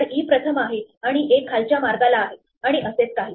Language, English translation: Marathi, So, e is first and a is way down and so on